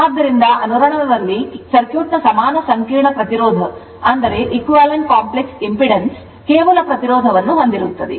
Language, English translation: Kannada, So, so, thus at resonance the equivalent complex impedance of the circuit consists of only resistance right